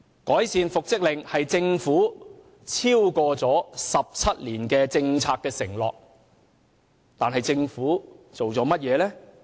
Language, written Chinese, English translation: Cantonese, 改善復職令是政府超過17年的政策承諾，但政府做過甚麼？, Refining the mechanism for making orders for reinstatement is a policy commitment made by the Government more than 17 years ago but what has the Government done?